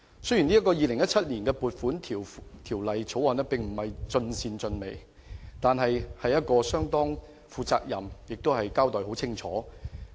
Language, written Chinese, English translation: Cantonese, 雖然這項《2017年撥款條例草案》並非盡善盡美，但也相當負責任及清晰。, Although the Appropriation Bill 2017 is not perfect it is marked by commitment and clear objectives